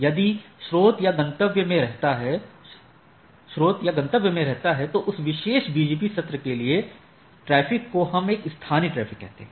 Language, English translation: Hindi, So, if the source or destination is residing in the AS, then the traffic for that particular BGP session we say that is a local traffic